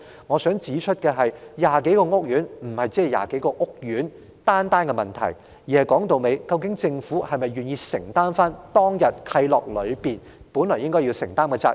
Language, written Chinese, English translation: Cantonese, 我想指出的是，這不單是20多個屋苑的問題，而是政府是否願意承擔當天訂立契諾時當局本應承擔的責任。, I would like to point out that it is not merely a matter involving the 20 - odd housing estates but whether or not the Government is prepared to assume the responsibility it should bear when the covenants were signed back then